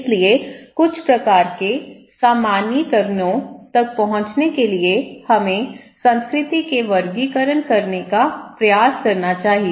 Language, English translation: Hindi, So, in order to reach to some kind of generalizations, we should try to make categorizations of culture, okay